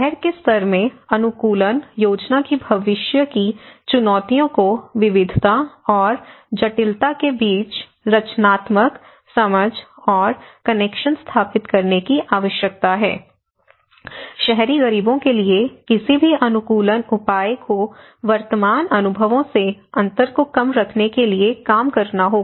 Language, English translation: Hindi, The future challenges of adaptation planning in city level needs to be creative, understanding and establishing connections between diversity and complexity, any adaptation measure for the urban poor has to work towards bridging the gap from present experiences